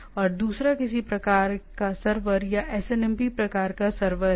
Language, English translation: Hindi, And another is some sort of a management type of server or SNMP type of server